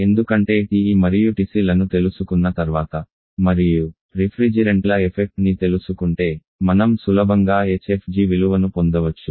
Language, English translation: Telugu, We are given with the hfg corresponding to TE and hfg corresponding to TC because once we know that TE and TC and not nature of the refrigerants we can easily get the value of hfg